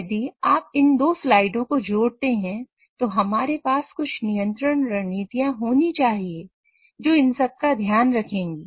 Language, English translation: Hindi, So, if you connect the two slides, we should have some sort of control strategies which will take care of all of these